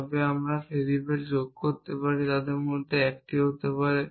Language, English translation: Bengali, They are no variables in my sentence, but I can add variables 1 of them could be